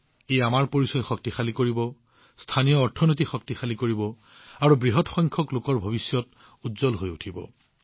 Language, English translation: Assamese, This will also strengthen our identity, strengthen the local economy, and, in large numbers, brighten the future of the people